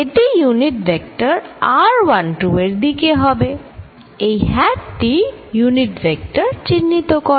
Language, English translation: Bengali, It is going to be in the unit vector r 1 2 direction, this hat here denotes the unit vector